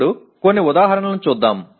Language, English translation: Telugu, Now let us look at some examples